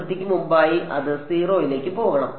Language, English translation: Malayalam, Before the boundary it should exponentially go to 0